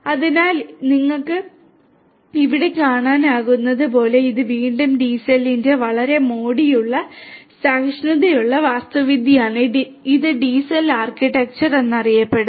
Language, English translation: Malayalam, So, as you can see over here this is again a pretty elegant fault tolerant architecture of a DCN which is known as the DCell architecture